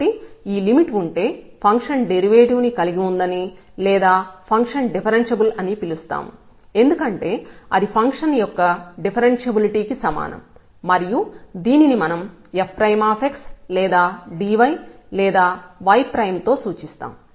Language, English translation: Telugu, So, if this limit exists we call that the function has derivative or the function is differentiable because that was equivalent to the differentiability of the function